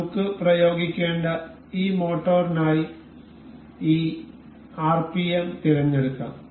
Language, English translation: Malayalam, We can we will select this rpm for this motor that we need to apply